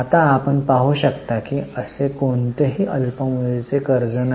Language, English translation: Marathi, Right now you can see there is no short term borrowing as such